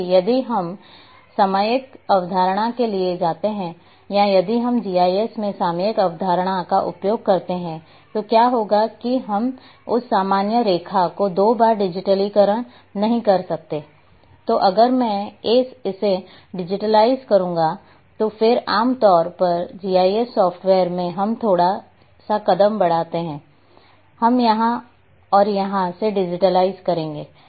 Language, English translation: Hindi, Whereas, if we go for topological concept or if we use the topological concept in GIS then what would happen that we will not be digitizing that common line twice, so what will happen that I have digitized this and then generally in GIS software what we will do we over step a little bit, we will come and digitize from here and here